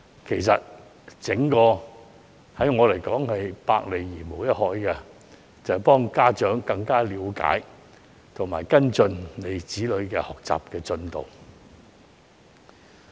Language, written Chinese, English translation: Cantonese, 其實，安裝 CCTV 對我來說是百利而無一害，只是幫助家長更了解及跟進子女的學習進度而已。, In fact in my opinion installing CCTVs will do all good and no harm but will only help parents better understand and follow up on the learning progress of their children